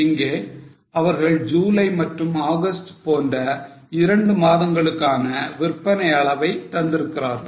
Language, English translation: Tamil, Now they have given the sales volume for two months July and August